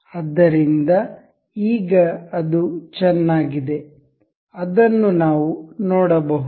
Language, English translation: Kannada, So, now it is nice and good, and we can see this